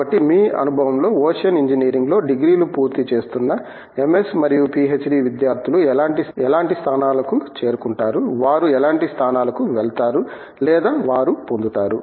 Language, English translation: Telugu, So, in your experience, what sort of positions do MS and PhD students completing degrees in ocean engineering, what sort of positions do they go to or they get